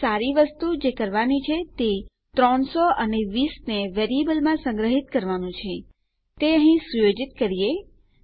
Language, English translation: Gujarati, Obviously a good thing to do is to store 300 and 20 in variables Lets set them here